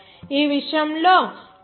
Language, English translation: Telugu, In this regard, T